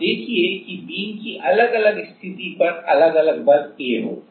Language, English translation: Hindi, Now see that at different position of the beam, there will be different A force